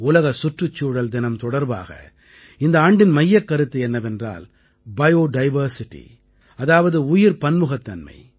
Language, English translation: Tamil, The theme for this year's 'World Environment Day' is Bio Diversity